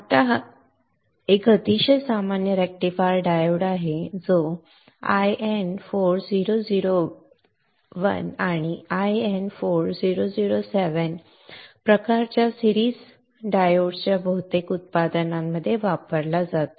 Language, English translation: Marathi, Now this is a very common rectifier diode used in most of the products, 1N4001 1 and 4707 kind of series kind of diodes